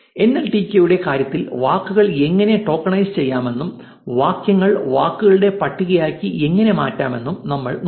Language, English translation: Malayalam, In terms of nltk, we looked at how to tokenize words and convert sentences into a list of words